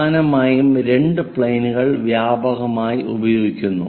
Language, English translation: Malayalam, Mainly two planes are widely used